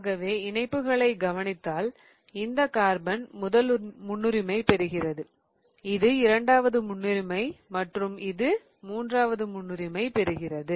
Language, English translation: Tamil, If you closely look at these attachments then you will be able to give the first priority to this carbon, the second priority to this and the third priority to this following carbon